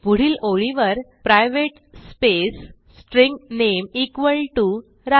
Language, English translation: Marathi, Next line private string name =Raju